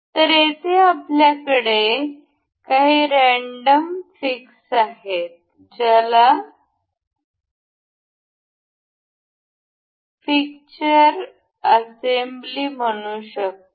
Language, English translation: Marathi, So, here we have some random fix say fixture assembly